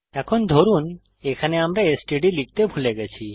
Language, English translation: Bengali, Now, suppose here we missed std